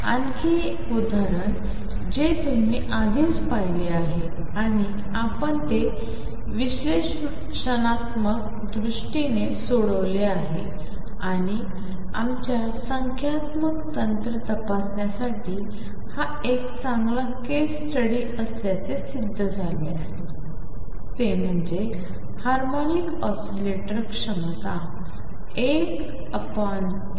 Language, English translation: Marathi, Another example that you have already seen and we have solved it analytically and it proved to be a good case study to check our numerical techniques is the harmonic oscillator potential one half k x square